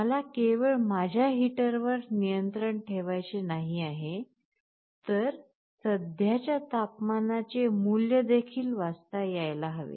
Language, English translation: Marathi, Like not only I should be able to control my heater, I should also be able to read the value of the current temperature